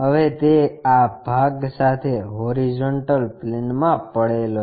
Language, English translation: Gujarati, Now, it is lying on horizontal plane with this part